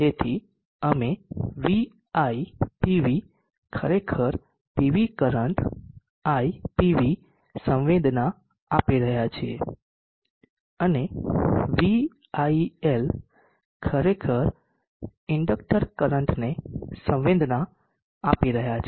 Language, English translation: Gujarati, So we ITV sensing actually the PV current IPV and VIL is actually sensing the inductor current